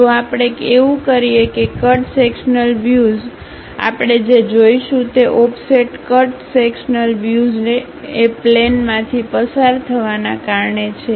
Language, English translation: Gujarati, If we do that the cut sectional view, the offset cut sectional view what we will see is because of a plane pass through this